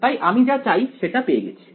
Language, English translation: Bengali, So, I have got what I wanted